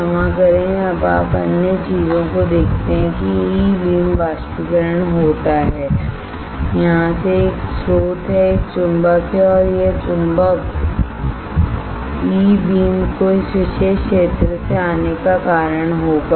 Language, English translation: Hindi, Sorry now what you see other things is that the E beam evaporation occurs from here there is a source there is a magnet and this magnet will cause the E beam to come from this particular area